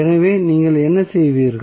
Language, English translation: Tamil, So, what you will do